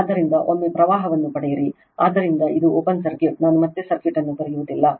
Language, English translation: Kannada, So, once you get the current, so this is open circuit I am not drawing the circuit again